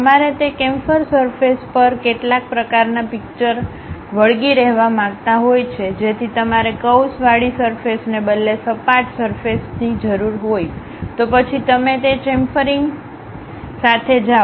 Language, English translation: Gujarati, You want to stick some kind of pictures on that chamfer surfaces so you require flat surface rather than a curved surface, then you go with that chamfering